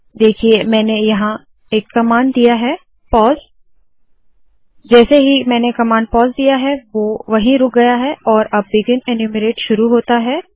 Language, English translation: Hindi, See here I have put a command called pause, so the moment I put a command pause, it stops there, now the begin enumerate starts